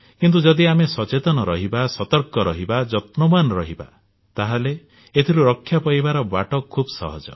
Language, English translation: Odia, But if we are aware, alert and active, the prevention is also very easy